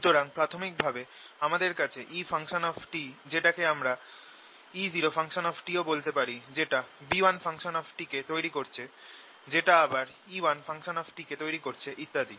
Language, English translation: Bengali, so originally i had e t, let's call it e, zero t, which is giving rise to ah, b one t, which in turn again will give rise to another e one t, and so on